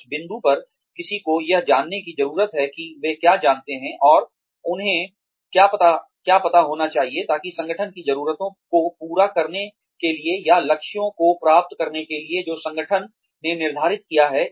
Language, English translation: Hindi, At that point, one needs to find out, what they know, and what they need to know, in order to satisfy the needs of the organization, or, in order to achieve the goals, that the organization has set